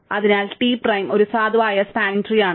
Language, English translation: Malayalam, Therefore, T prime is a valid spanning tree